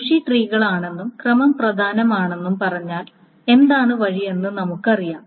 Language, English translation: Malayalam, So now if we say it's a bushy tree with order matters we know what is the way